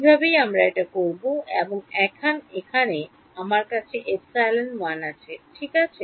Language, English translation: Bengali, So, this is some epsilon 1, this is some epsilon 2 and so on right